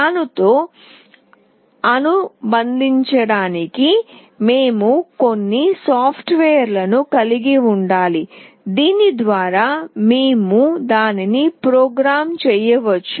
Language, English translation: Telugu, We need to have some software associated with it through which we can program it